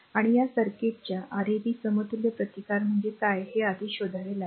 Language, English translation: Marathi, And you have to find out first what is Rab equivalent resistance of this circuit first you have to find out right